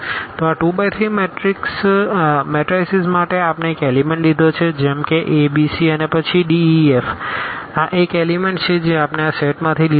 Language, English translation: Gujarati, So, for 2 by 3 matrices so, we have taken one element like a b c and then the d e and f this is the one element we have taken from this set